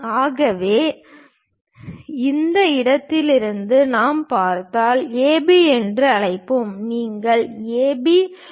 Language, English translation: Tamil, So, if we are seeing from this point this point let us call A B, the length A B is W